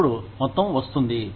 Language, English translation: Telugu, Then, comes the amount